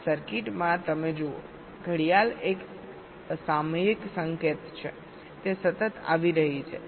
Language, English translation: Gujarati, in this circuit, you see, clock is a periodic signal